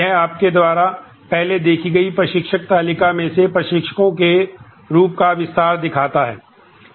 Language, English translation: Hindi, It shows the instructors expanded form of the instructor table you saw earlier